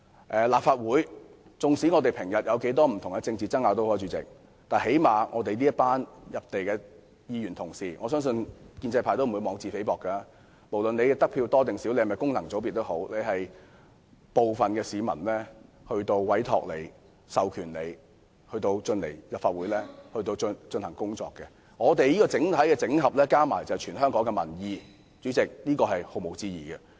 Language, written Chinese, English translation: Cantonese, 不管立法會議員平日有多少政治爭拗，我們這群議員同事——我相信建制派也不會妄自菲薄，因為議員無論得票多少或是否來自功能界別，最低限度都是由部分市民授權進入立法會工作——整合起來便是全香港的民意，這是毋庸置疑的。, As for the Legislative Council despite the political disputes in normal times Honourable colleagues as a whole do represent the will of people across the territory . I believe pro - establishment Members will not belittle themselves because regardless of the number of votes we received or whether we are returned from the functional constituencies we at least have the mandate of a portion of the population to join the Council